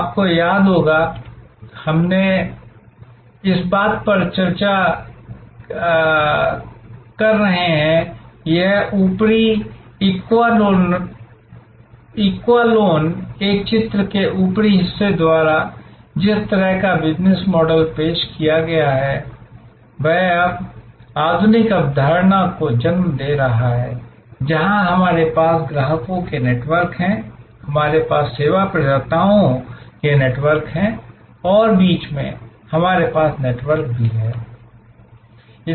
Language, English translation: Hindi, You would remember that we have been discussing that this upper echelon, the kind of model business model represented by the upper part of this picture is now giving way to the modern concept, where we have networks of customers, we have networks of service providers and in the middle, we have also network